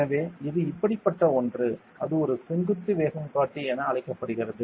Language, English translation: Tamil, So, it is something called like this; with it is called a vertical velocity indicator and all